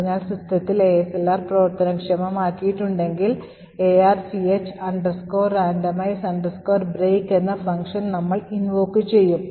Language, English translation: Malayalam, So, if ASLR is enabled on the system we invoke this part particular function arch randomize break which essentially is present here